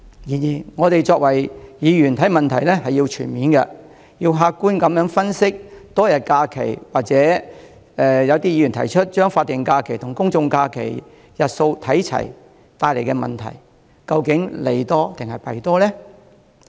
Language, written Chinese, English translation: Cantonese, 然而，我們身為議員，看問題需要全面，要客觀分析多一天假期，或有議員提出把法定假日和公眾假期的日數看齊所帶來的問題，究竟利多還是弊多呢？, Nevertheless as a Member of the Legislative Council I have to consider the matter in a holistic and objective manner and analyse whether having one additional holiday or aligning statutory holidays with general holidays as proposed by some Members will bring more advantages or disadvantages